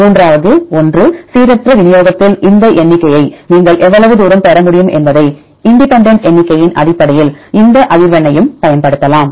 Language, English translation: Tamil, Then the third one, we can also use this frequency based on independent counts how far you can get these counts in random distribution